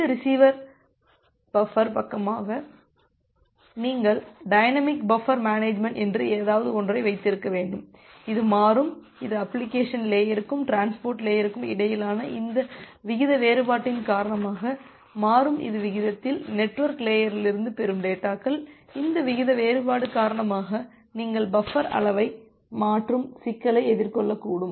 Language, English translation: Tamil, You have to have something called a dynamic buffer management where this receivers buffer side, it is changing dynamically, it is changing dynamically because of this rate difference between the application layer and the transport layer, at rate at the rate at which it is receiving the data from the network layer, because of this rate difference you may face a problem you may have dynamically changing buffer size